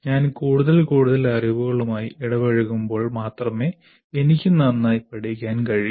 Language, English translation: Malayalam, If I am the more and more engaged with the knowledge, then only I will be able to learn better